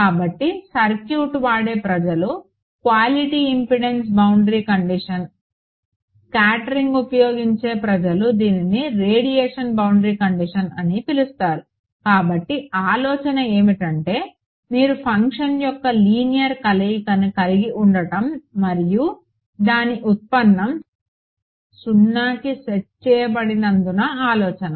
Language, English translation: Telugu, So, circuits people quality impedance boundary condition, scattering people call it radiation boundary condition, but the idea is because you have a linear combination of the function and its derivative being set to 0 right